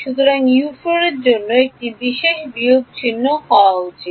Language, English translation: Bengali, So, for U 4 this should be a minus sign